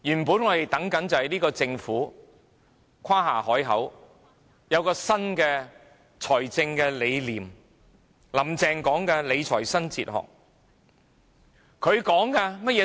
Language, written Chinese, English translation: Cantonese, 這屆政府曾誇下海口，說有新的財政理念，"林鄭"提到理財新哲學。, This Government has boosted about its new fiscal philosophy and Mrs Carrie LAM has mentioned the new philosophy in fiscal management